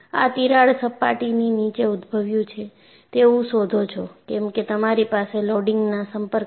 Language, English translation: Gujarati, You find the crack has originated below the surface, because you have contact loading here